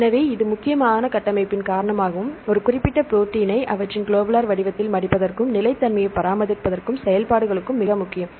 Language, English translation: Tamil, So, this is mainly due to the structure and function aspect is very important right for to fold a particular protein in their globular shape as well as to maintain the stability and for the functions